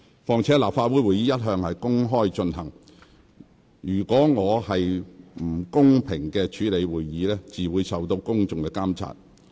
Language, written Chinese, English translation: Cantonese, 況且，立法會會議一向公開進行，我是否公平公正主持會議，自會受到公眾監察。, What is more Council meetings are always open to the public and whether I have chaired the meetings in a fair and impartial manner is therefore subject to public scrutiny